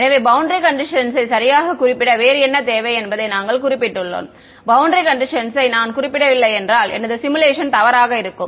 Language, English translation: Tamil, So, we have we have specified the source what else do we need to specify boundary condition right, if I do not specify boundary condition my simulation will be wrong